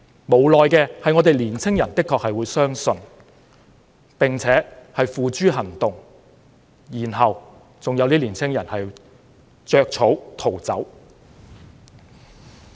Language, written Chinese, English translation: Cantonese, 無奈的是年輕人的確會相信這些口號，並且付諸行動，結果有些年輕人落得要"着草"逃走。, Helplessly young people will indeed believe these slogans and put them into action . As a result some young people have to run away in grass shoes